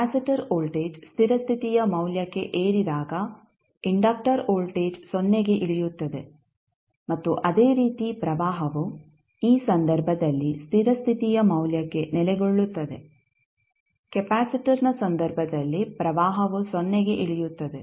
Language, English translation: Kannada, When in case of capacitor voltage rises to steady state value while in case of inductor voltage settles down to 0 and similarly current in this case is settling to a steady state value while in case of capacitor the current will settle down to 0